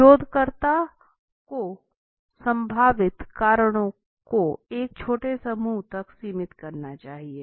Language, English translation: Hindi, Researcher should narrow possible causes to a small set of probable causes